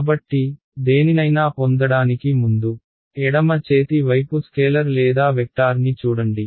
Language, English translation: Telugu, So, before we get in to anything look at the left hand side is a left hand side a scalar or a vector